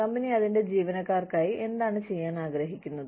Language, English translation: Malayalam, What is it that, the company wants to do, for its employees